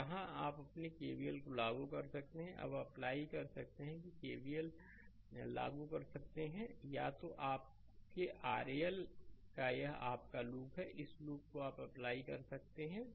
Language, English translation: Hindi, So, here you can here you apply your KVL, you can apply you can apply KVL either your either like this; this is your V oc this loop you can apply